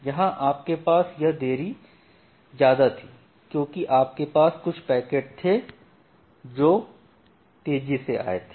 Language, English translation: Hindi, So, here you had this deep because you had certain packets which came faster